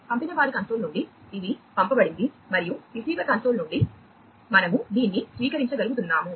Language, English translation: Telugu, So, from the sender console it was sent and from the receiver console we are able to receive this